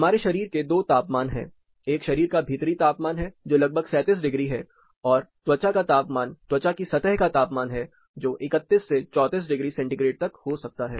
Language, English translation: Hindi, We have two body temperatures; one is a core body temperature which is somewhere around 37 degrees and the skin temperature that is a surface skin temperature, which may range from 31 to 34 degree centigrade